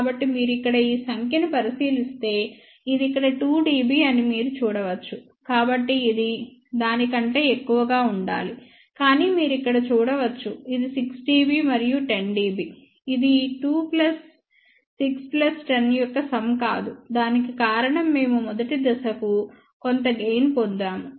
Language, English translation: Telugu, So, if you look at this number here, you can see that this one here is 2 dB, so this has to be more than that, but you can see here this is 6 dB and 10 dB it is not sum of these 2 plus 6 plus 10, the reason for that is we had some gain for the first stage